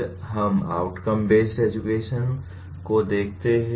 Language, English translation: Hindi, Then we look at outcome based education